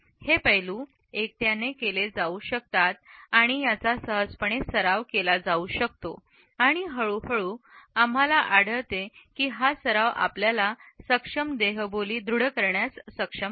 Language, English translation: Marathi, These aspects can be singled out and can be practiced easily and gradually we find that practice enables us to have a better body language